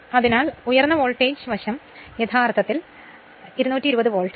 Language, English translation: Malayalam, So, high voltage side actually 220 volt